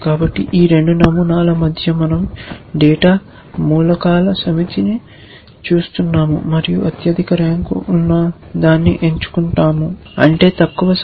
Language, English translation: Telugu, So, between these 2 patterns we are looking at a set of data elements and picking the one with the highest rank which means the lowest number